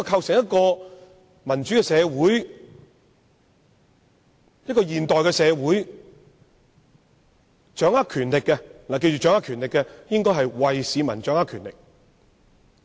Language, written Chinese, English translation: Cantonese, 在一個民主、現代的社會，掌握權力的人無論是要除暴安良還是拘捕賊人，都是為市民執掌權力。, In a democratic modern society the people in power irrespective of whether they are engaged in operations of eradicating the bad elements for the safety of law - abiding citizens or arresting thieves they are enforcing the power on behalf of the public